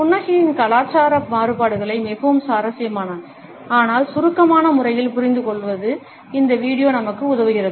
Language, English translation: Tamil, This video helps us to understand cultural variations in smiles in a very interesting, yet succinct manner